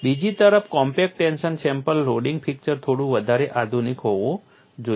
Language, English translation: Gujarati, On the other hand, the compact tension specimen loading fixtures have to be little more sophisticated